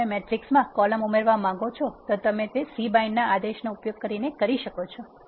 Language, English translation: Gujarati, If you want to add a column to a matrix you can do so by using c bind command